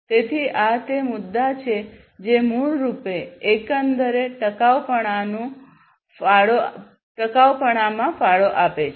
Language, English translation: Gujarati, So, these are the issues that basically contribute to the overall sustainability